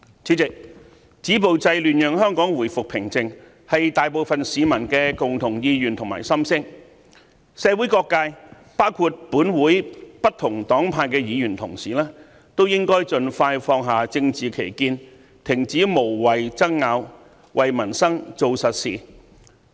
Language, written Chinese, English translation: Cantonese, 主席，止暴制亂讓香港回復平靜，是大部分市民的共同意願及心聲，社會各界包括本會不同黨派的議員同事都應該盡快放下政治歧見，停止無謂爭拗，為民生做實事。, President most of the people want peace to be restored in Hong Kong . Stopping violence and curbing disorder is thus their common wish . All sectors of the community including Members from different political parties should put aside their political differences stop meaningless arguments and do some real work to improve peoples livelihood